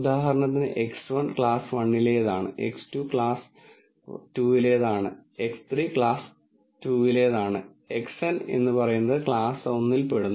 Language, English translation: Malayalam, So for example, X 1 belongs to class 1, X 2 belongs to class 1, X 3 belongs to class 2 and so on, Xn belongs to let us say class 1